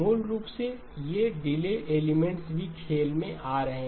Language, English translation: Hindi, Basically these delay elements also coming into play